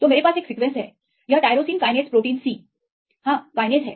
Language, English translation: Hindi, So, I have one sequence this is the tyrosine kinase protein C YES kinase